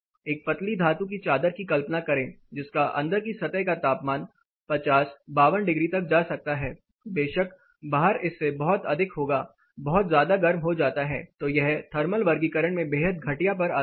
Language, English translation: Hindi, Imagine a thin metal sheet what will be the inside peak surface temperature it may go as high as 50 52 degree, outside of course will be much higher; gets heated up then it is extremely poor thermal classification